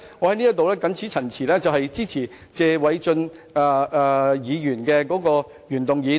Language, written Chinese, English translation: Cantonese, 我謹此陳辭，支持謝偉俊議員的原議案。, With these remarks I support Mr Paul TSEs original motion